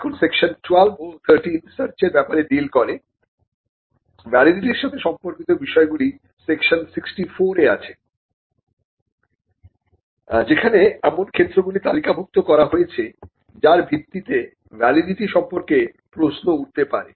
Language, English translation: Bengali, Now section 12 and 13 deals with aspects of search aspects of validity are dealt in section 64, which lists the grounds on which a validity can be questioned